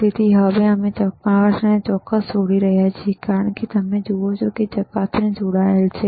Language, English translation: Gujarati, So, we are now connecting the probe as you see the probe is connected ok